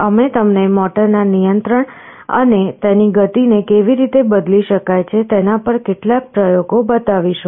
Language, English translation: Gujarati, We shall be showing you a couple of experiments on the controlling of the motor and how the speed can be varied